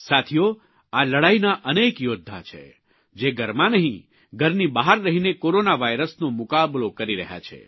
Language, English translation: Gujarati, Friends, in this war, there are many soldiers who are fighting the Corona virus, not in the confines of their homes but outside their homes